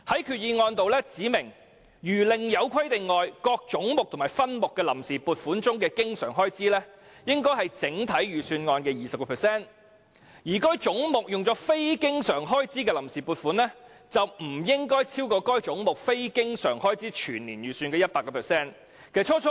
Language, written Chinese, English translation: Cantonese, 決議案指明，除另有規定外，各開支總目和分目的臨時撥款中的經常開支，應佔整體預算案的 20%； 而有關總目下非經常開支的臨時撥款，則不應超過該總目非經常開支全年預算的 100%。, According to the Resolution unless stated otherwise the funds on account in respect of recurrent expenditure under each head and subhead of expenditure should account for 20 % of the overall estimated expenditure while the funds on account in respect of non - recurrent expenditure under the relevant head should not exceed 100 % of the estimated annual non - recurrent expenditure under that head